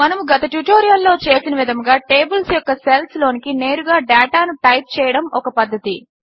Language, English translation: Telugu, One way is to directly type in data into the cells of the tables, which we did in the last tutorial